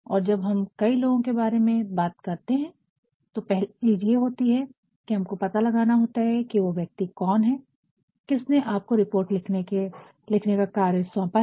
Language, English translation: Hindi, And, when we talk about several people, the first thing is we have to find out who is the person, who gave you the task of writing the report